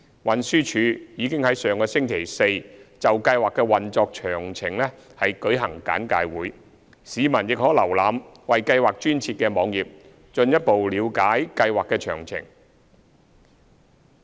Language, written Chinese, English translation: Cantonese, 運輸署已於上星期四就計劃的運作詳情舉行簡介會，市民亦可瀏覽為計劃專設的網頁進一步了解計劃的詳情。, The Transport Department held a briefing on the operational details of the Scheme last Thursday . Further details of the Scheme are also available at the designated website for the Scheme